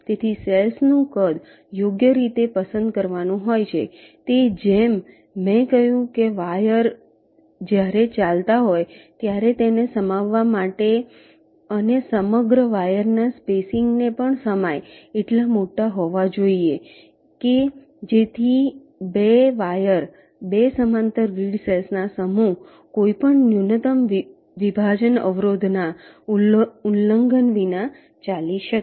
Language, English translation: Gujarati, they should be large enough to means, as i said, to accommodate the wires when they are running and also the entire wire spacing, so that two wires can run on two parallel set of grid cells without any minimum separation constraint violation